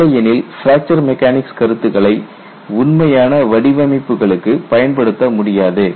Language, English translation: Tamil, Otherwise fracture mechanics concepts cannot be applied to actual designs